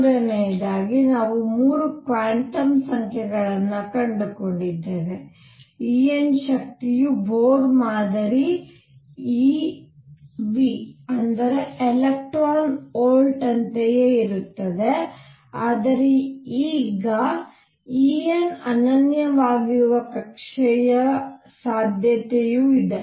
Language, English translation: Kannada, So, we found 3 quantum numbers third the energy E n comes out to be exactly the same as Bohr model e v, but now the possibility of an orbit having energy E n being unique is gone